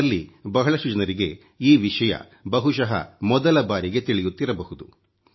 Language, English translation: Kannada, Many of you may be getting to know this for the first time